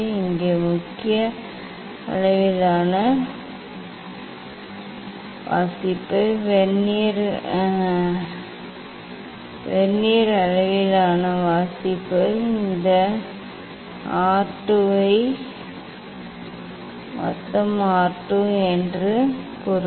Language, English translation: Tamil, here also main scale reading, Vernier scale reading, total this R 2 then mean R 2